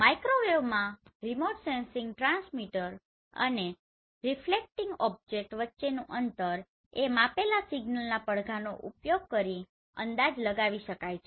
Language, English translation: Gujarati, In microwave remote sensing the distance between transmitter and reflecting object can be estimate using the measured signal echoes